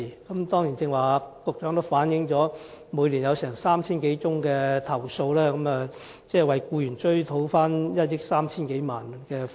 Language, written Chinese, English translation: Cantonese, 局長剛才指出，積金局每年接獲3000多宗投訴，為僱員討回1億 3,000 多萬元供款。, The Secretary has just pointed out that MPFA received over 3 000 complaints and had recovered over 130 million in MPF contributions on behalf of employees every year